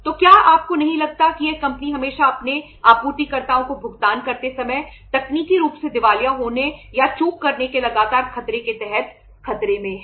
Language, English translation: Hindi, So do you not think that this company is always under the threat, under the constant threat of becoming technically insolvent of or defaulting while making the payment to their suppliers